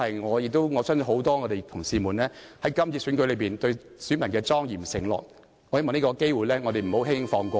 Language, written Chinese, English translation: Cantonese, 我亦相信這是很多同事在這次選舉中對選民表達的莊嚴承諾，我希望我們不要輕輕放過這個機會......, I believe this is the solemn promise made by many colleagues to their electors in the last election . I hope they will not let the opportunity slip away easily Thank you Deputy President